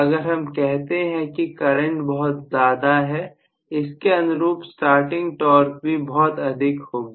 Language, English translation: Hindi, If I say that the current is very large, the starting torque is also going to be extremely large